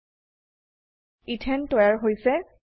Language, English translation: Assamese, Ethane is formed